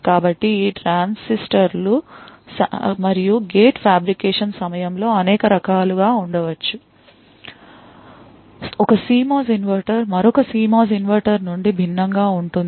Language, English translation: Telugu, So, during the fabrication of these transistors and gates, that could be multiple different ways, one CMOS inverter differs from another CMOS inverter